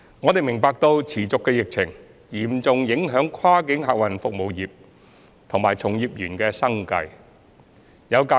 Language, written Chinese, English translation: Cantonese, 我們明白持續的疫情嚴重影響跨境客運業界及從業員的生計。, We understand that the ongoing epidemic is seriously affecting the livelihood of the cross - boundary passenger transport trade and its employees